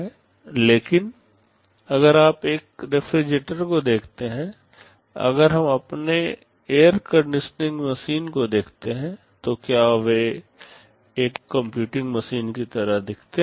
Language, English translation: Hindi, But if you look at a refrigerator, if we look at our air conditioning machine, do they look like a computing machine